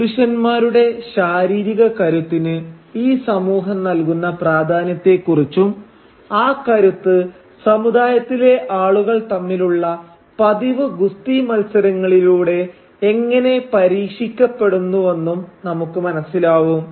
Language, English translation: Malayalam, We come to know the importance that this society attaches to physical prowess of men and how that progress is tested through regular wrestling matches between the people of the community